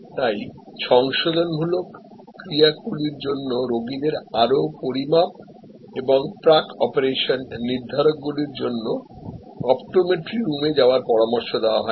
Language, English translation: Bengali, So, patients for corrective actions are suggested to go to the optometry room for further measurements and pre operation determinants